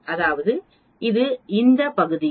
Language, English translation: Tamil, That is this area is 0